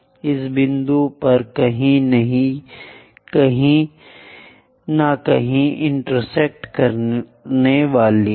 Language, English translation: Hindi, So, it will be going to intersect somewhere at this point